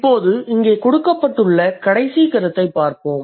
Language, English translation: Tamil, So, now let's look at the last point that has been given here